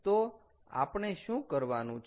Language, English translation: Gujarati, so what do we have to do